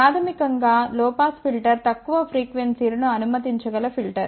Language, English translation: Telugu, Basically a low pass filter is a filter which passes low frequencies